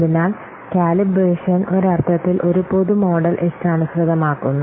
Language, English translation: Malayalam, So, calibration is in a sense a customizing a generic model